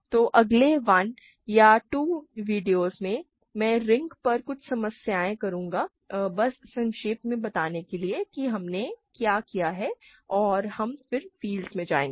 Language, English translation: Hindi, So, in the next 1 or 2 videos I will do some problems on rings just to summarize whatever we have done and then we will go to fields